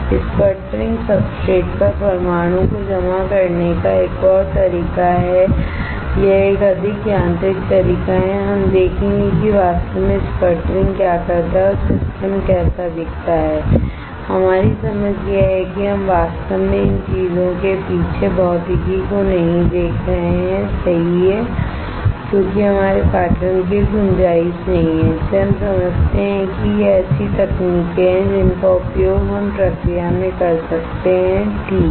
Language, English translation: Hindi, Sputtering is another way of depositing the atoms on the substrate, it is a more of mechanical way we will see what exactly is sputtering does and how the system looks like that is our understanding this we are not really looking at the physics behind how these things are done alright, because there is not scope of our course scope is that we understand that these are the techniques that we can use in the process alright